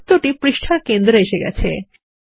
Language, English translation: Bengali, The circle is aligned to the centre of the page